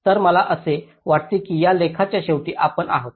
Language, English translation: Marathi, so i think with this we come to the end of this lecture